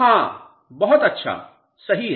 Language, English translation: Hindi, Yes, very good, correct